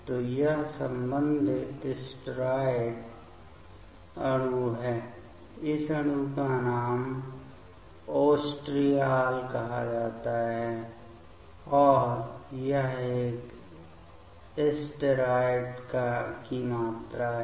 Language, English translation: Hindi, So, this is the corresponding steroid molecule the name of this molecule is called oestriol and this is a steroid moiety